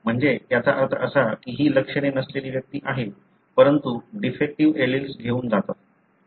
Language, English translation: Marathi, So that means that these are asymptomatic individuals, but do carry the defective alleles